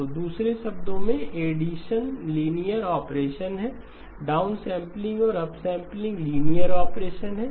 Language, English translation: Hindi, So in other words addition is a linear operation downsampling and upsampling are linear operations